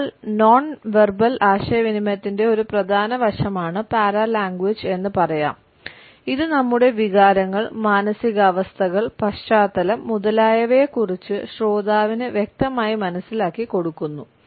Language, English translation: Malayalam, So, we say that paralanguage is an important aspect of nonverbal communication, it passes on a clear understanding of our emotions, moods, background etcetera to the listener